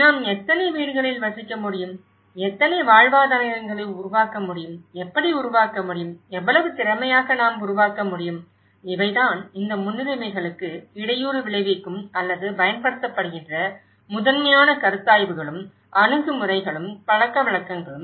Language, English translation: Tamil, How many houses we can dwell, how many livelihoods we can generate, how to generate, how efficiently we can generate so, these are the prime considerations and attitudes and customs which tend to impede these priorities or deployed